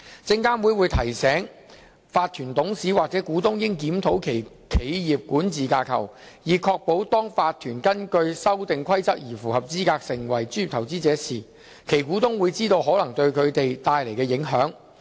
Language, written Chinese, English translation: Cantonese, 證監會會提醒法團董事或股東應檢討其企業管治架構，以確保當法團根據《修訂規則》而符合資格成為專業投資者時，其股東會知道可能對他們帶來的影響。, SFC reminds directors and shareholders of a corporation to review the corporate governance structure to ensure that the shareholders of a corporation are properly informed and aware of the implications when the corporation becomes a professional investor pursuant to the Amendment Rules